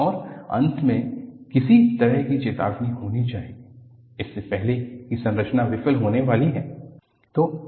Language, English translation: Hindi, And, finally there must be some kind of a warning, before the structure is about to fail